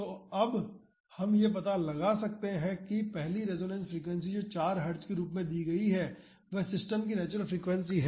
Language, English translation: Hindi, So, we can find out that the first resonance frequency which is given as 4 Heartz is the natural frequency of the system